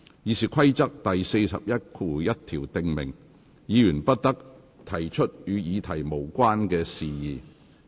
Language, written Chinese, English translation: Cantonese, 《議事規則》第411條訂明，議員不得提出與議題無關的事宜。, RoP 411 stipulates that Members shall not introduce matter irrelevant to that subject